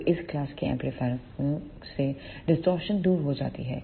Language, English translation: Hindi, Now, these amplifier suffers from the distortion